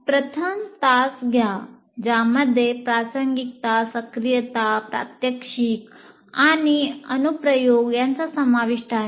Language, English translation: Marathi, And then take the first hour, relevance, activation, a demonstration and application